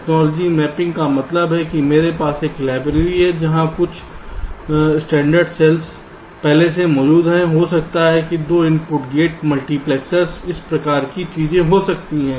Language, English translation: Hindi, technology mapping means i have a library where some standard cells are already present, may be two input gates, multiplexers, this kind of things